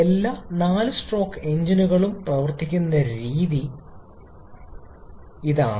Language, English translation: Malayalam, And this is only the way all 4 stroke engines work